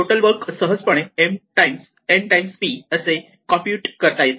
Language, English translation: Marathi, With total work is, usually easy to compute us m times n times p